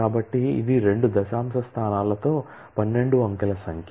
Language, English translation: Telugu, So, which is the 12 digit number with two decimal places of precision